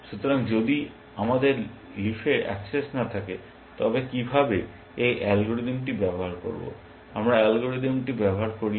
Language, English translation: Bengali, So, if we do not have access to the leaf then how can we use this algorithm, we cannot use the algorithm